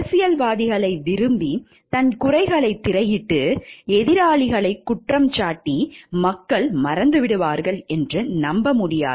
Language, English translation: Tamil, He cannot like the politicians, screen his shortcomings by blaming his opponents and hope that the people will forget